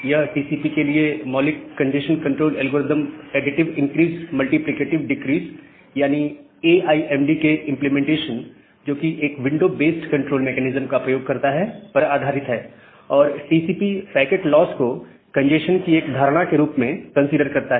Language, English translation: Hindi, So, the basic congestion control algorithm for TCP is based on the implementation of additive increase multiplicative decrease, using a window based control mechanism, and TCP considers packet loss as a notion of congestion